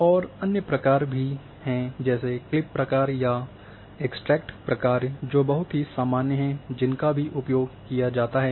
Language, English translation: Hindi, And there are other functions which a very common function which also used is a clip function or extract function